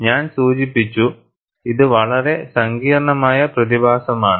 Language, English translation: Malayalam, And I also mentioned, it is a very complex phenomenon